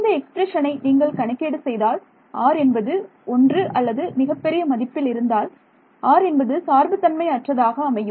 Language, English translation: Tamil, If you calculate this expression this would turn out to be independent of r for r greater than 1 for very large